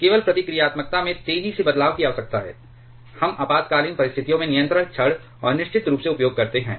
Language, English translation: Hindi, Only for there is a rapid change in reactivity required, we use the control rods and of course, in under emergency situations